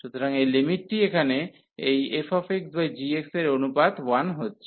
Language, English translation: Bengali, So, this limit here the ratio of this f x and g x is getting 1